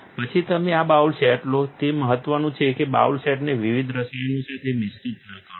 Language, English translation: Gujarati, Then you take this bowl set, it is important not to mix up bowl sets with different chemicals